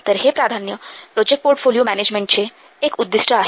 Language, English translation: Marathi, So these are the important concerns of project portfolio management